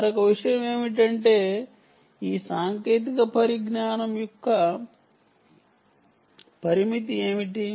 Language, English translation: Telugu, another thing is: what are the limitation of these technologies